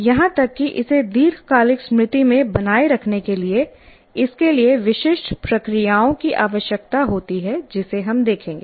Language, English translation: Hindi, Even to retain it in the long term memory require certain processes and that's what we will look at it